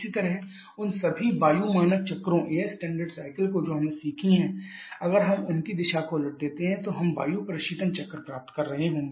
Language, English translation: Hindi, Similarly the all those air standard cycles that we have learned if we reverse the direction of them we are going to get a refrigeration cycle